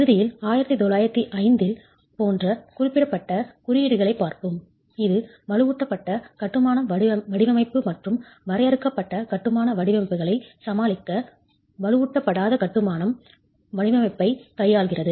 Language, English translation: Tamil, Eventually we will see specific codes such as 1905 which deals with unreinforced masonry design to deal with reinforced masonry design and confined masonry designs